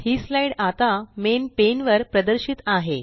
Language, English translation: Marathi, This slide is now displayed on the Main pane